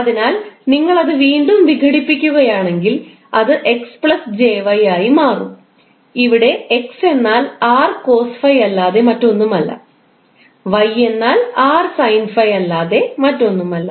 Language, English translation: Malayalam, So if you decomposeose it will again will become x plus j y where x is nothing but r cos phi and y is nothing but r sine 5